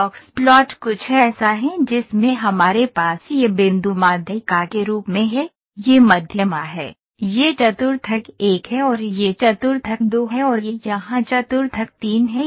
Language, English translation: Hindi, The box plot is something in which we have this point as median, this is median this is quartile 1 and this is quartile 2 and this is quartile 3 here